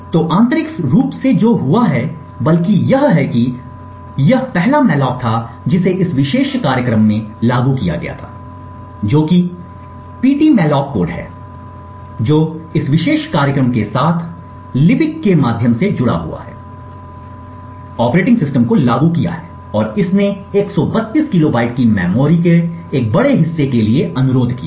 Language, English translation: Hindi, So what has happened internally is that rather since this was the first malloc that is invoked in this particular program the ptmalloc code which has got linked with this particular program through libc has invoked the operating system and it has requested for a large chunk of memory of 132 kilobytes